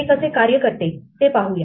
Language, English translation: Marathi, Let us see how this works